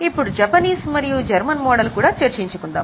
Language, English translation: Telugu, Now there is also a Japanese and German model